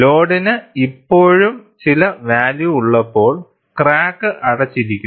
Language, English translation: Malayalam, You find when the load is still having some value, the crack is closed